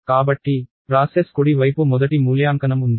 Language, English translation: Telugu, So, the process is the right hand side is evaluated first